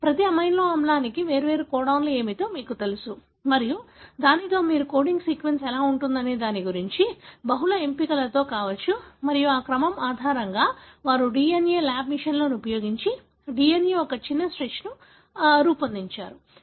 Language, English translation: Telugu, So, you know what are the different codons for each amino acid and with that you can come up with multiple options as to what would be the coding sequence and based on that sequence, they have designed DNA, short stretch of DNA using lab machines